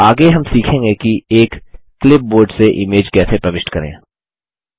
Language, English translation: Hindi, Next we will learn how to insert image from a clipboard